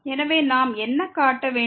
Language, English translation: Tamil, So, what we need to show